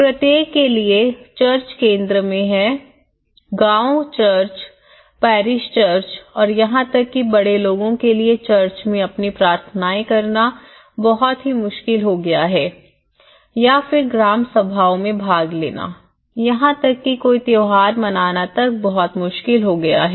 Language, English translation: Hindi, For every, the church is in the centre, the village church, the parish church and even for the elder people to go and conduct their prayers in the church it has become a very difficult thing or to attend any village councils meeting it has become very difficult thing